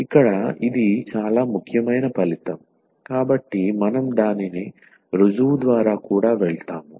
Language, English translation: Telugu, So, since this is a very important result we will also go through the proof of it